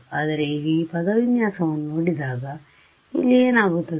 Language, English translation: Kannada, But now when you look at this expression what happens over here